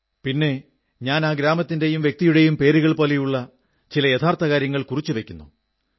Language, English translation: Malayalam, Then, I note down facts like the name of the village and of the person